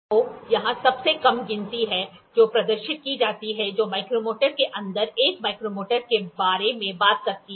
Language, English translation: Hindi, So, here is that least count which is displayed which talks about 1 micrometer